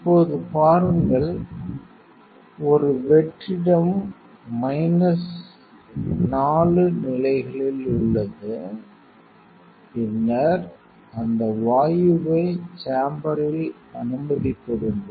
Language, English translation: Tamil, Now, seek it is a vacuum is in minus 4 levels then admit that gas to the chamber